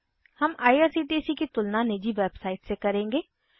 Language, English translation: Hindi, We will now compare IRCTC with Private website